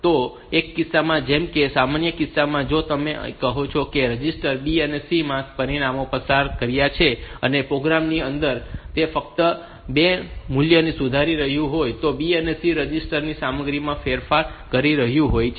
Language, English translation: Gujarati, So, in one case like in the normal case like if you are say I have passed the parameters being through the registers B and C, and inside the program it is just modifying those values